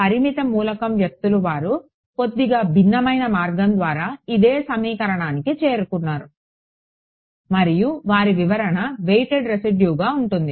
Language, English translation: Telugu, The finite element people they arrived at the same equation via slightly different route and their interpretation is weighted residual